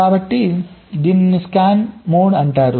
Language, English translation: Telugu, so this is called scan mode